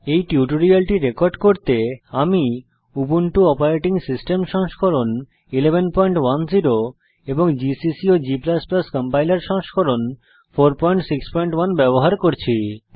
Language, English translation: Bengali, To record this tutorial, I am using, Ubuntu Operating System version 11.10 gcc and g++ Compiler version 4.6.1